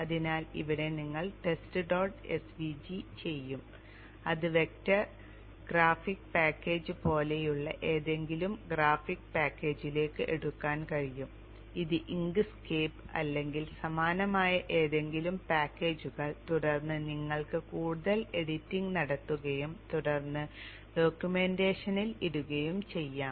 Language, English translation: Malayalam, tv which can which which can be taken into any of the graphics package like vector graphics package like INScape or any such similar packages and you can do further editing and then put into the documentation